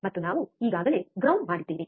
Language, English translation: Kannada, And we already have grounded